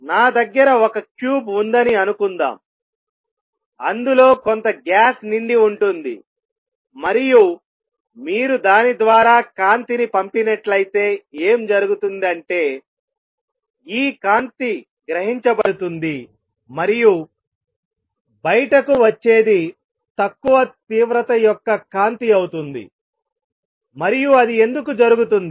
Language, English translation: Telugu, Suppose I have a cube in which some gas is filled and you pass light through it; what would happen is this light will be get absorbed and what comes out will be light of lower intensity